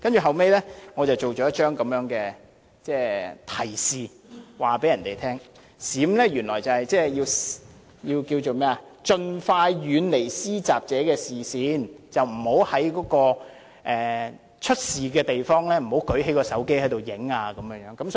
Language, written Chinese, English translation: Cantonese, 後來我製作了一張提示，告訴別人，原來"閃"是盡快遠離施襲者的視線，不要在發生事故的地方舉起手提電話拍照。, Later on I made a reminder telling other people that by Run people are advised to run out of the attackers line of sight and they should refrain from taking photographs or videos of the incident with their mobile phones